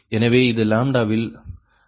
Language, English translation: Tamil, so you say this is the lambda value